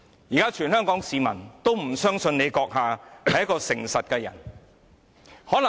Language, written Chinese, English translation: Cantonese, 現在，全港市民都不相信她是誠實的人。, Yet no one in Hong Kong will now have trust in her integrity